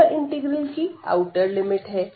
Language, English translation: Hindi, So, that is the outer limit of the integral